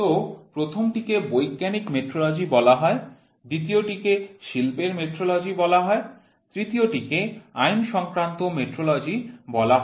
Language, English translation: Bengali, So, the first one is called as scientific metrology, the second one is called as industrial metrology, the third one is called as legal metrology